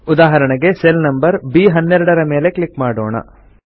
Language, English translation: Kannada, For example lets click on cell number B12